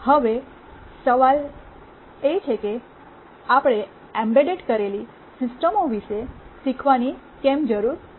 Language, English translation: Gujarati, Now the question is that why do we need to learn about embedded systems